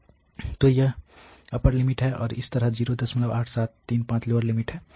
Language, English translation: Hindi, So, this is the upper limit and similarly 0